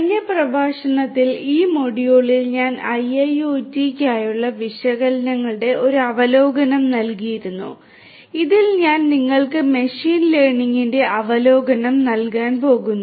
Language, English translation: Malayalam, In the last lecture, in this module I had given an overview of analytics for IIoT and in this I am going to give you the overview of machine learning